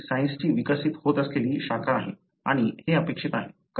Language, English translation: Marathi, This is an evolving branch of science and this is something expected